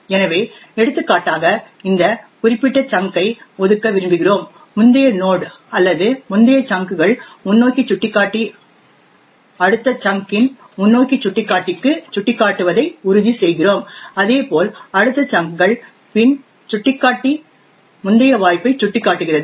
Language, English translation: Tamil, So for example we want to allocate this particular chunk then we ensure that the previous node or the previous chunks forward pointer points to the next chunk forward pointer similarly the next chunks back pointer points to the previous chance pointer